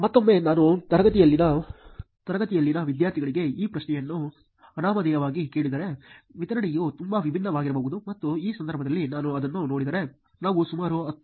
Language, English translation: Kannada, Again, if I were to ask this question anonymously for the students in the class, the distribution may be very different and so, in this case if we look at it, we had about 10